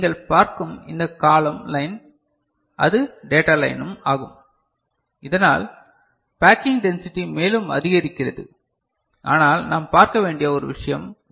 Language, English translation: Tamil, So, this column line that you see is also data line so which increases you know packing density further, but there is a catch we shall see